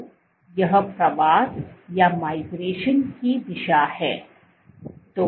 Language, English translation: Hindi, So, this is the direction of migration